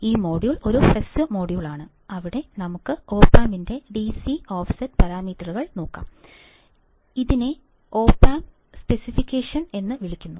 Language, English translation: Malayalam, And this model is a short module, where we will look at the DC offset parameters of opamp; which is also called as the opamp specification